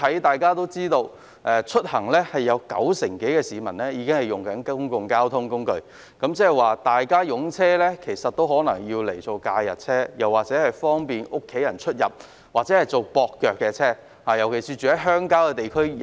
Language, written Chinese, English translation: Cantonese, 大家都知道，整體而言，九成多香港市民使用公共交通工具出行，換言之，市民的車輛可能只用作假日車，方便家人出入或作接駁用途，特別是居於鄉郊地區的市民。, As we all know over 90 % Hong Kong people take public transport for commuting overall . In other words people probably only drive their cars during holidays or for transporting their families or for connecting with public transport especially in the case of those living in rural areas